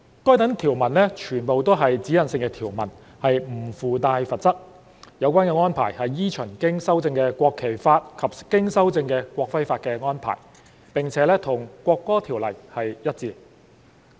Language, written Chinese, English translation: Cantonese, 該等條文全為指引性條文，不附帶罰則，有關安排依循經修正的《國旗法》及經修正的《國徽法》的安排，並與《國歌條例》一致。, These provisions are all directional provisions that do not carry any penalty . Such arrangement follows that of the amended National Flag Law and the amended National Emblem Law and is consistent with the National Anthem Ordinance NAO